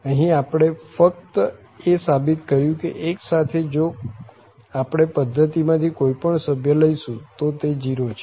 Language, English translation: Gujarati, So, here we have only proved that with the 1 if we take any other member from the system it is 0